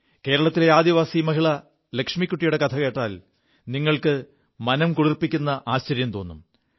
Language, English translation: Malayalam, You will be pleasantly surprised listening to the story of Keralas tribal lady Lakshmikutti